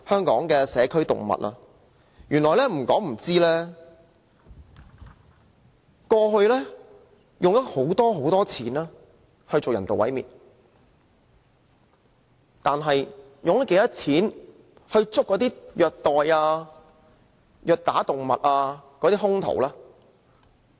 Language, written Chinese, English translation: Cantonese, 不說不知，原來過去政府用了很多金錢進行人道毀滅，但它用了多少錢來拘捕虐待動物的兇徒呢？, Perhaps we do not know that the Government has used a lot of money on euthanasia of animals . However how much money has the Government spent on arresting people who cruelly treat animals?